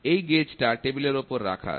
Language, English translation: Bengali, This gauge is resting on a table